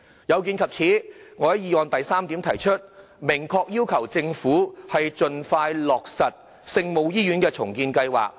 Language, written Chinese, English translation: Cantonese, 有見及此，我在議案第三點明確要求政府盡快落實聖母醫院重建計劃。, In this connection in item 3 of the motion I expressly request the Government to expeditiously implement the Our Lady of Maryknoll Hospital redevelopment project